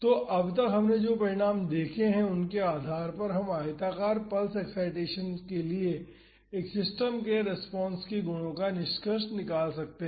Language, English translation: Hindi, So, based on the results we have seen so far we can conclude the properties of the response of a system to rectangular pulse excitations